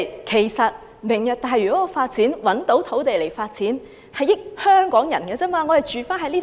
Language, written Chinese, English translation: Cantonese, 其實"明日大嶼"所提供的土地，只能令香港人受惠。, Actually the land provided under Lantau Tomorrow can only benefit the people of Hong Kong